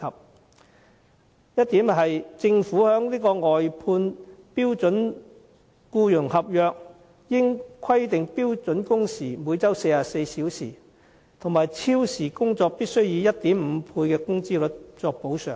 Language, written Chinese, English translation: Cantonese, 第一，政府在外判標準僱傭合約中，應規定標準工時為每周44小時，以及超時工作必須以 1.5 倍工資作補償。, First in the standard employment contract used by outsourcing service contractors the Government should limit the number of standard working hours to 44 per week and set the compensation for overtime work at 150 % of the regular wage